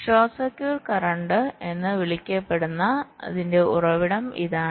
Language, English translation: Malayalam, this is the source of the so called short circuits current